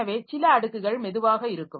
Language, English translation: Tamil, So, some layer which is slow